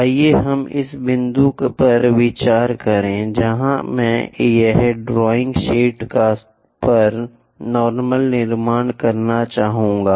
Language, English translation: Hindi, Let us consider this is the point where I would like to construct normal on the drawing sheet here